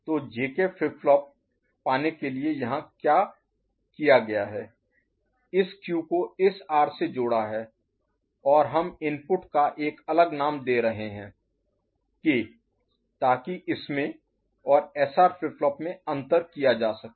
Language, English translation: Hindi, So, what has been done to get the JK flip flop is Q is connected to this R and we are giving a different name of the input, K to distinguish to differentiate it from SR flip flop